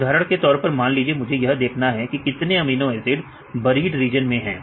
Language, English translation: Hindi, So, I want to see how many amino acids are in the buried region